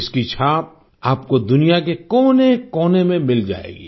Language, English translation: Hindi, You will find its mark in every corner of the world